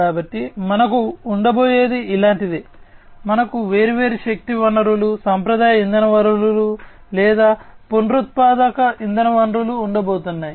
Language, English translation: Telugu, So, what we are going to have is something like this, we are going to have different energy sources, traditional energy sources, or the renewable energy sources